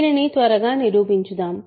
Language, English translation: Telugu, So, let us prove this quickly